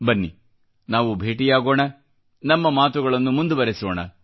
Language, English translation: Kannada, Let us keep on meeting and keep on talking